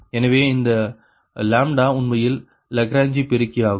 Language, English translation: Tamil, is the lagrange multiplier right